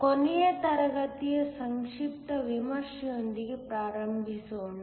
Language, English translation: Kannada, Let us start with a brief review of last class